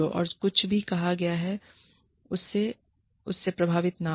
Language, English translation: Hindi, Do not be swayed, by whatever is said